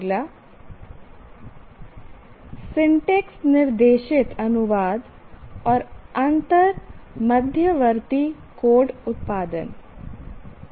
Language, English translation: Hindi, Syntax directed translation and intermediate code generation